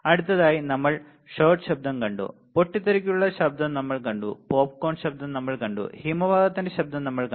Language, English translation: Malayalam, And next we have seen shot noise, we have seen the burst noise, we have seen the popcorn noise, we have seen the avalanche noise right